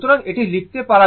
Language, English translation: Bengali, So, this one you can write